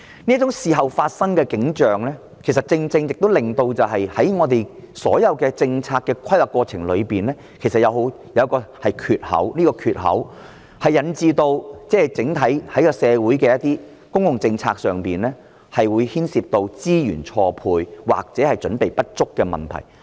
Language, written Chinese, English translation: Cantonese, 這種事後才進行調查的情況，正正令我們所有政策的規劃過程出現一個缺口。這個缺口引致整體社會在公共政策上，出現資源錯配或者準備不足的問題。, The surveys conducted after their arrival have exactly given rise to a gap in our planning procedure of all policies resulting in mismatch of resources or deficiency in preparation in regard to public policies for the entire community